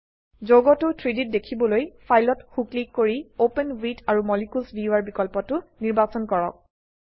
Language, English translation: Assamese, To view the compound in 3D, right click on the file, choose the option Open with Molecules viewer